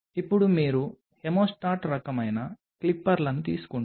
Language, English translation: Telugu, Now, you take a hemostat kind of things clippers